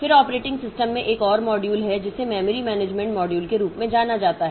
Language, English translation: Hindi, Then there is another module in the operating system which is known as the memory management module